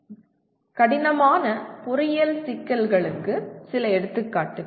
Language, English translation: Tamil, Some examples of complex engineering problems